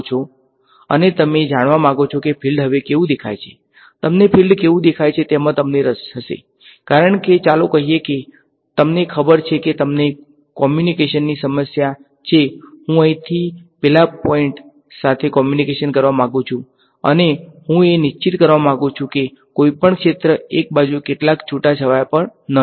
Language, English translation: Gujarati, And, you want to know how does the field look like now you will be interested in how the field looks like, because let us say you know you have a communication problem I want to communicate from here to let us say that point and I want to make sure that no field goes to some eavesdropper on one side